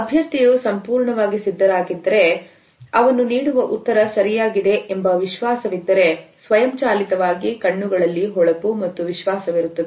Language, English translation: Kannada, If a candidate is fully prepared and is confident that the answer he or she is providing is correct then automatically there would be a shine and confidence in the eyes